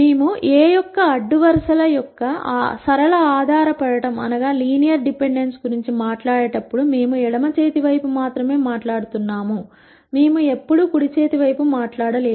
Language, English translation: Telugu, When we talk about the linear dependence of the rows of A, we are only talking about the left hand side, we never talked about the right hand side